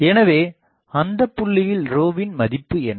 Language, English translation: Tamil, So, at that point what is the value of rho